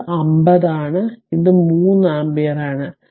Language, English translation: Malayalam, So, it is 50 50 and this is 3 ampere